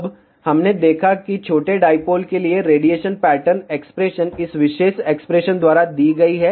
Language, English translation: Hindi, Now, we had seen the radiation pattern expression for small dipole is given by this particular expression